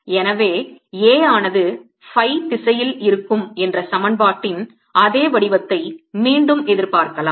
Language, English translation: Tamil, so i can anticipate, by again same form of the equation, that a will also be in the phi direction